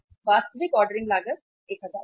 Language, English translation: Hindi, Actual ordering cost was 1000